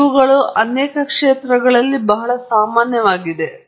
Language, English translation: Kannada, These are very common in many, many fields